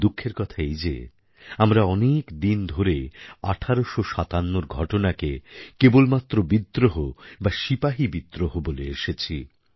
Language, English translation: Bengali, It is indeed sad that we kept on calling the events of 1857 only as a rebellion or a soldiers' mutiny for a very long time